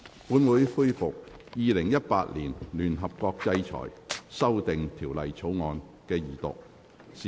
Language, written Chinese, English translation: Cantonese, 本會恢復《2018年聯合國制裁條例草案》的二讀辯論。, This Council resumes the Second Reading debate on the United Nations Sanctions Amendment Bill 2018